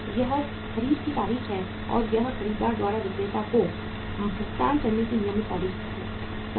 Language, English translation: Hindi, This is the date of purchase and this is the due date of the making the payment by the buyer to the seller, finished